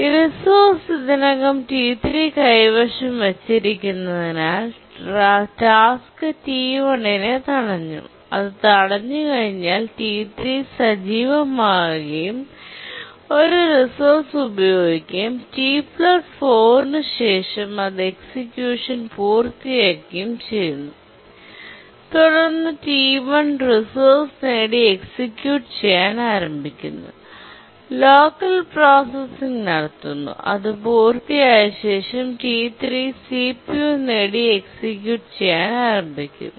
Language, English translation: Malayalam, And once it gets blocked, T3 becomes active, uses the resource and after some time at T plus 4 it completes the execution and then T1 gets the resource starts executing does local processing and then after it completes then T3 gets the CPU and starts executing